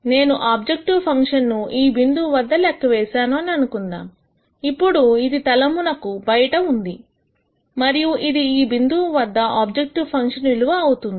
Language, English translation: Telugu, Let us say I compute the objective function at this point then this is going to be outside the plane and this is a value of the objective function at this point